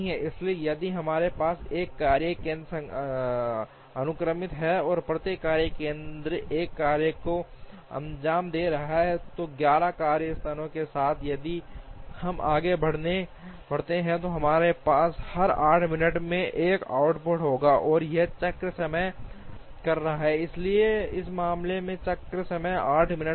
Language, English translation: Hindi, So, if we have one workstation sequential, and each workstation is carrying out one tasks, so with 11 workstations, if we proceed we will have a an output every 8 minutes and that is call the cycle time, so the cycle time in this case will be 8 minutes